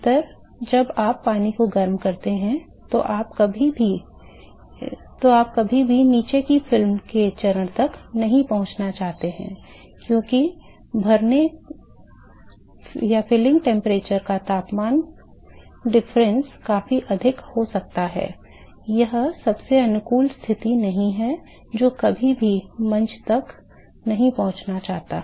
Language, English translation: Hindi, Mostly, most of the time when you heat the water you never want to reach the stage of having a film of the bottom, because the filling temperature temperature difference can be significantly higher it is not a most favorable condition never want to reach the stage